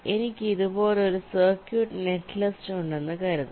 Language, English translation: Malayalam, suppose i have a circuit, netlist, like this